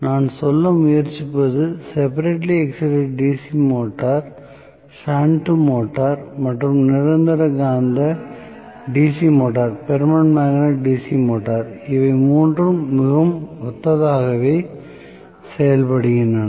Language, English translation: Tamil, What I am trying to say is separately excited DC motor, shunt motor as well as permanent magnet DC motor all 3 of them behave very very similarly